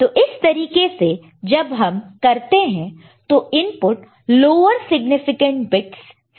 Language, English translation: Hindi, So, in this case when you do that, you do it this way that the input is coming from lower significant bits